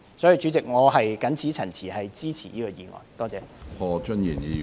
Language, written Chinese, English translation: Cantonese, 主席，我謹此陳辭，支持《條例草案》。, With these remarks President I support the Bill